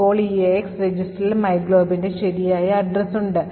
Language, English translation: Malayalam, So now EAX register has the correct address of myglob, the global address